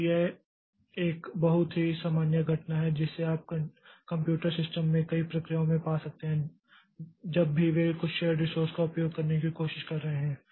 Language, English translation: Hindi, So, this is a very common phenomena that you can find across a number of processes in a computer system whenever they are trying to use some shared resource